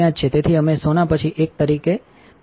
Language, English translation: Gujarati, So, we went out as one after the gold